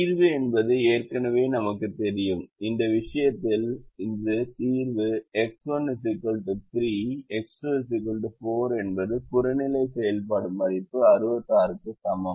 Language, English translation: Tamil, you know that the solution is x one equal to three, x two equal to four, with objective function value equal to sixty six